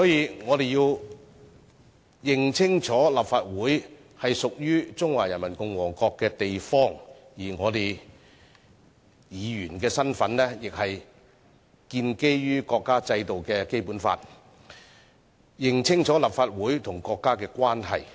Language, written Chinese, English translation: Cantonese, 因此，我們要認清楚立法會是屬於中華人民共和國的地方，而議員的身份亦建基於國家制定的《基本法》。, Therefore we must be clear that the Legislative Council is a venue that belongs to the Peoples Republic of China and the status of a Member is premised on the Basic Law formulated by the State